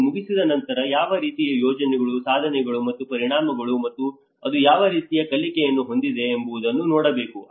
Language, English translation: Kannada, After finishing it, one has to look at what kinds of projects, achievements and the impacts and what kind of learnings it has